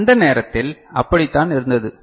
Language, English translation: Tamil, So, that was the case at the time